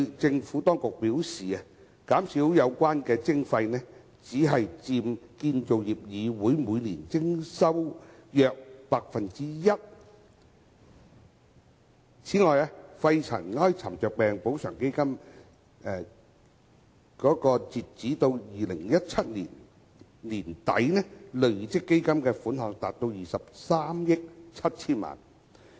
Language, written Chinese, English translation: Cantonese, 政府當局表示，減少有關徵費，只佔建造業議會每年徵款收入約 1%。此外，肺塵埃沉着病補償基金截至2017年年底，累積款項達23億 7,000 萬元。, The Administration has said that the forgone levy income is equivalent to 1 % of the average annual levy income of PCFB and the Pneumoconiosis Compensation Fund the Fund has accumulated a total of 2.37 billion as at the end of 2017